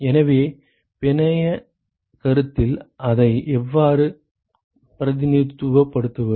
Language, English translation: Tamil, So, how do we represent that in a network concept